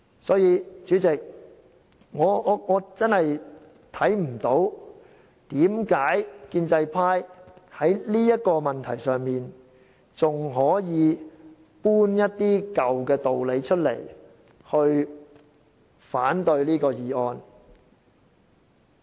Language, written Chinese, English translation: Cantonese, 因此，主席，我真的看不到為何建制派在這個問題上，還可以搬出一些舊的道理來反對這項議案。, Therefore President I really do not see why on this issue the pro - establishment camp could oppose my motion with some hackneyed reasons